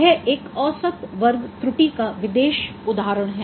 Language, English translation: Hindi, This is one particular example of mean square error